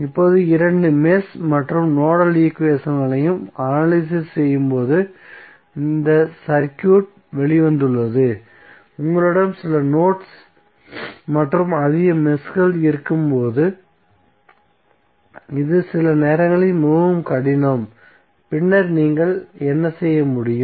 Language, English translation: Tamil, Now this is the circuit we came out while analyzing the mesh and nodal equations, so this sometimes is very difficult when you have more nodes and more meshes, then what you can do